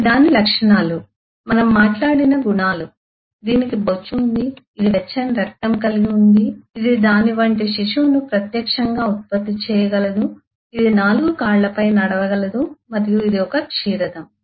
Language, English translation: Telugu, these are its properties, attributes we talked of, that is, it is far, it is warm blooded, it can produce, live young of its kind, it can walk on 4 legs and so on, is a mammal